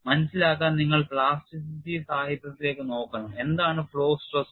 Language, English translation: Malayalam, You have to look at a plasticity literature to understand what the flow stress is